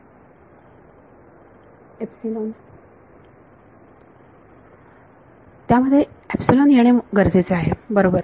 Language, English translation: Marathi, Epsilon needs to come in that right